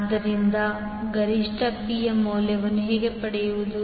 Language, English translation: Kannada, So, how to get the value of maximum P